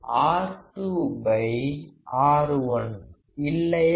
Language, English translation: Tamil, R2 by R1; isn’t it